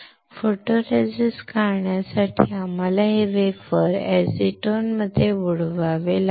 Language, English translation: Marathi, For stripping the photoresist, we had to dip this wafer, in acetone